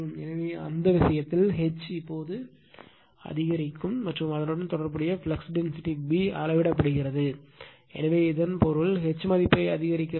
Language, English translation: Tamil, So, in that case, what will happen that your H, now increasing values of magnetic field strength H and the corresponding flux density B measured right, so that means, you are increasing the H value now